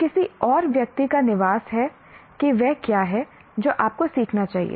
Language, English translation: Hindi, So somebody else is deciding what is it that you should be learning